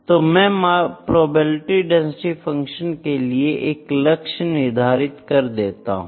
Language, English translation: Hindi, I will put the target for probability density functions here